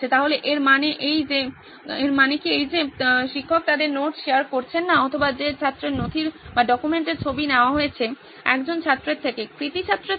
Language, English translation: Bengali, So does that mean that the teacher is not going to share their note with, or whose the picture of the document that is contributed is from the student, from A student, the star student